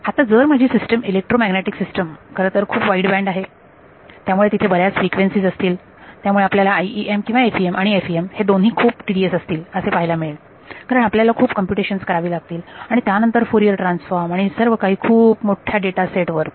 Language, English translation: Marathi, Now, if my system electromagnetic system actually is very wideband lots and lots of frequencies are there then you can see that this both IEM and FEM will become very tedious right because not just you have to do computational n you also have to do then Fourier transforms and all and over very large data sets